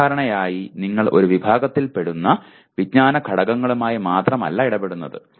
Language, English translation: Malayalam, Generally you are not dealing with knowledge elements belonging to only one category